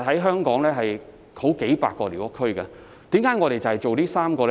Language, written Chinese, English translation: Cantonese, 香港現時有數百個寮屋區，為何我們只發展這3個呢？, There are currently hundreds of squatter areas in Hong Kong why do we seek to develop these three of them only?